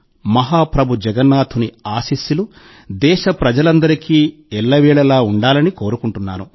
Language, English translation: Telugu, It’s my solemn wish that the blessings of Mahaprabhu Jagannath always remain on all the countrymen